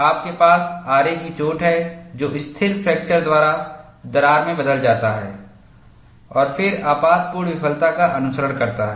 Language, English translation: Hindi, You have a saw cut that changes into a crack by stable fracture and then catastrophic failure follows